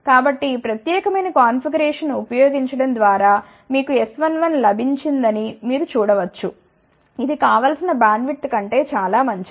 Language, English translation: Telugu, So, by using this particular configuration you can see that you got an S 1 1, which is fairly good over the desired bandwidth